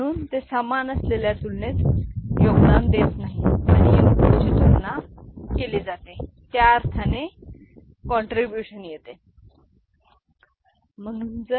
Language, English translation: Marathi, So, they do not contribute to the comparison that is equal and contribute in the sense that input is compared you know equal